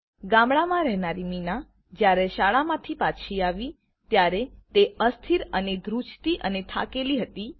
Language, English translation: Gujarati, The village girl Meena returned home from school feeling shaky and shivery and looked tired